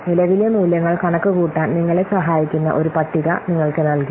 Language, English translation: Malayalam, So, we have given you a table which will help you for computing the present values